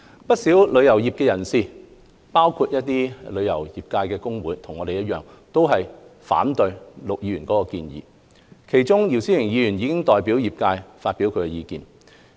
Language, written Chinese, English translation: Cantonese, 不少旅遊業界人士，包括旅遊業界工會，和我們一樣，都反對陸議員的建議，其中姚思榮議員已代表業界就此表達意見。, Many people in the travel trade including trade unions are also against Mr LUKs proposals; Mr YIU Si - wing has already spoken on behalf of the trade earlier on . The five major trade unions ie